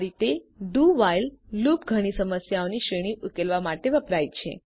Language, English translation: Gujarati, This way, a do while loop is used for solving a range of problems